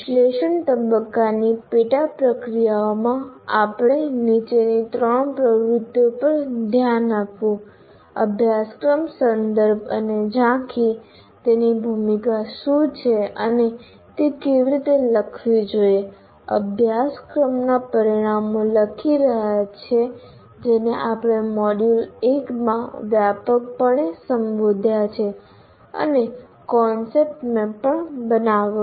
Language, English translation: Gujarati, And among the various sub processes we looked at in the analysis phase, course context and overview, what is its role and how it should be written, and writing the course outcomes, which we have addressed in the module 1 extensively and then also drawing a kind of a what we call as a concept map